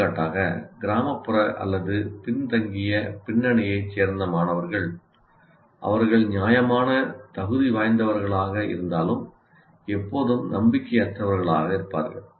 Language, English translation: Tamil, For example, students from rural or disadvantaged backgrounds, though they are reasonably competent, will always have a question of lack of confidence